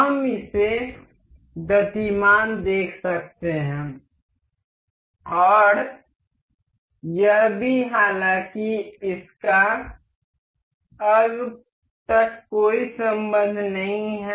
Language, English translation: Hindi, We can see this moving and also this one however, there is no relation as of now